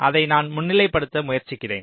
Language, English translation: Tamil, let me just try to just highlight